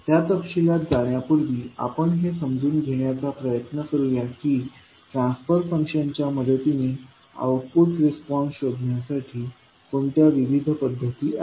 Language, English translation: Marathi, So, before going into that detail, let us try to understand that what are the various approaches to find the output response with the help of transfer functions